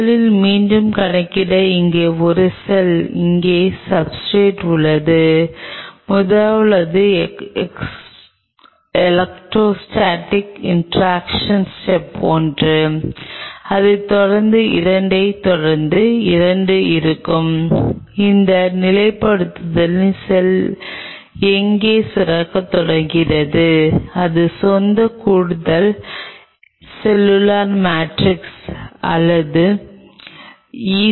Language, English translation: Tamil, First again just to enumerate the first is a cell out here substrate out here and first is the Electro Static Interaction step one followed by 2 which will have where is the cell upon that stabilization starts to secrete out it is own Extra Cellular Matrix or ECM